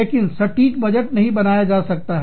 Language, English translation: Hindi, But, the accurate budgeting, cannot be done